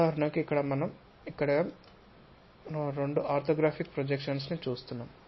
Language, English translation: Telugu, For example, here two orthographic projections we are showing